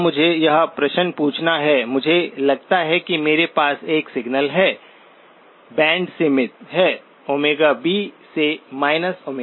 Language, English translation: Hindi, Now let me ask this question, supposing I have a signal, band limited, omega B to minus omega B